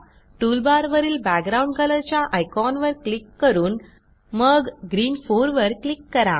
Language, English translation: Marathi, Now click on the Background Color icon in the toolbar and then click on Green 4